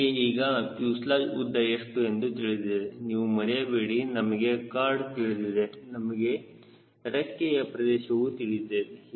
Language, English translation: Kannada, we know now what is the fuselage length, right, we know the chord, we know the wing area